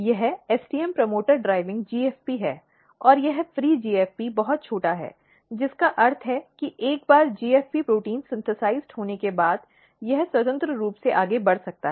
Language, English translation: Hindi, So, if you look this is STM promoter driving GFP, and this GFP is a very small GFP free GFP, which means that once GFP protein is made, synthesized, it can move freely